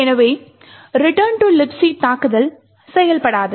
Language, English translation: Tamil, Therefore, it the return to libc attack would not work